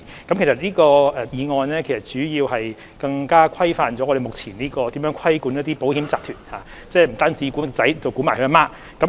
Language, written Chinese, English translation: Cantonese, 這項議案主要是加強規範我們目前規管保險集團的方式，即不單管其"兒子"，還管其"母親"。, The motion in question mainly seeks to enhance supervision of our existing approach to regulate insurance groups that is both a subsidiary and its parent company will be regulated